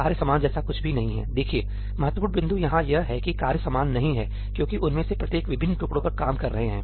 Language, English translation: Hindi, There is nothing like a common tasks; look, the important point here is these tasks are not the same because each one of them is working on a different piece